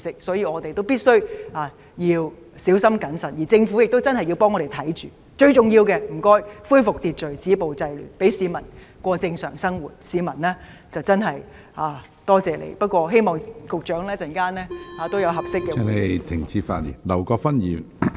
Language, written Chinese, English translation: Cantonese, 所以，我們必須小心謹慎，政府亦要為我們緊密注視情況，最重要的是恢復秩序，止暴制亂，讓市民過正常生活，市民便會真正多謝你，希望局長稍後能有合適的回應。, Such being the case we must be very careful and the Government must closely watch the developments for us . It is most imperative to restore social order and stop the violence and curb the disorder so that peoples living can resume normal and in that case the people will really be thankful to you . I hope the Secretary can give a suitable response later on